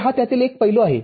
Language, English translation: Marathi, So, this is one aspect of it